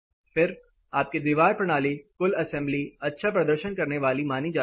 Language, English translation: Hindi, Then your wall system the total assembly is deemed to be performing good